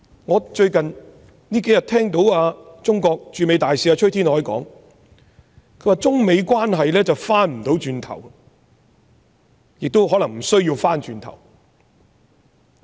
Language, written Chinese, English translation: Cantonese, 我最近聽到中國駐美大使崔天凱說中美關係回不去了，亦可能沒必要回去。, Recently the Chinese Ambassador to the United States CUI Tiankai has said that the China - United States relations cannot go back or probably should not go back